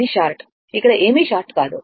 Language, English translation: Telugu, It is a short; nothing here it is a short right